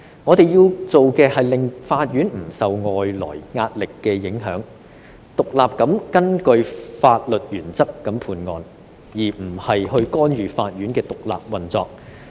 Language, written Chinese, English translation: Cantonese, 我們要做的事情，是令到法院不會受外來壓力影響，獨立地根據法律原則判案，而不是干預法院的獨立運作。, What we have to do is to ensure that the courts will be free from external pressure and adjudicate cases independently according to legal principles instead of interfering with the independent operation of the courts